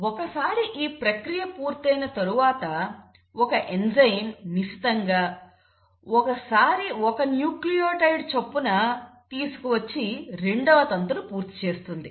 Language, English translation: Telugu, Now once that has happened the there has to be a enzyme which will then come and, you know, meticulously will start bringing in 1 nucleotide at a time and make a second strand